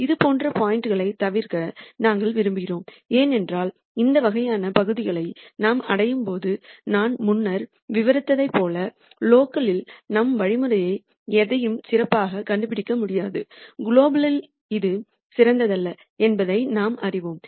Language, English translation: Tamil, We want to avoid points like this because as I described before when we reach these kinds of regions while locally we cannot make our algorithm nd anything better we know that globally this is not the best